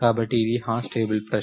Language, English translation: Telugu, So, this is the hash table question